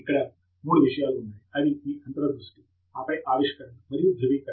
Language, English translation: Telugu, There are three things: intuition, and then discovery, and validation